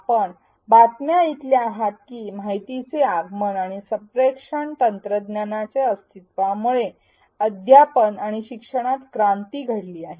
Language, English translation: Marathi, We hearing the news that the advent of information and communication technologies has brought a revolution in teaching and learning